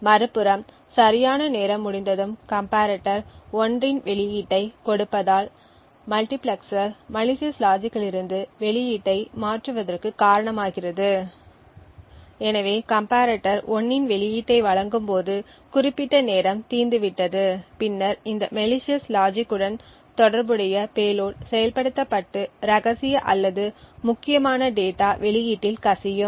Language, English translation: Tamil, On the other hand when the right amount of time has elapsed the comparator would give you an output of 1 which causes the multiplexer to switch the output from that of the malicious logic, therefore when the comparator provides an output of 1 that is after the specified time has elapsed then the payload corresponding to this malicious logic gets executed and secret or sensitive data is leaked to the output